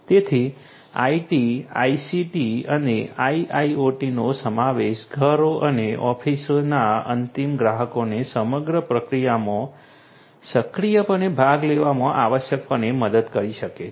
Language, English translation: Gujarati, So, the incorporation of IT, ICT and IoT can essentially help the end consumers in the homes and offices to actively participate to actively participate in the entire process